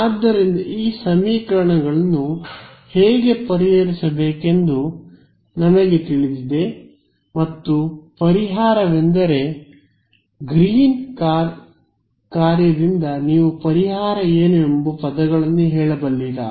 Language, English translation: Kannada, So, we know how to solve this equation and the solution is by Green’s function can you tell me in words what is the solution